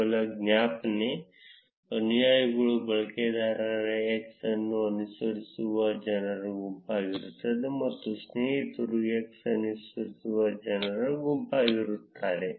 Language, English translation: Kannada, Just a reminder, followers would be the set of people who are following user x and friends would be the set of people who x follows